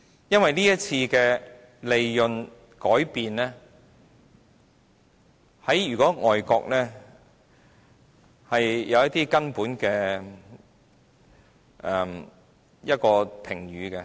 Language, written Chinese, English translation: Cantonese, 由於這次稅務上的改變，在外國是有些根本的評語。, The current change in tax regime has drawn some comments internationally on a fundamental basis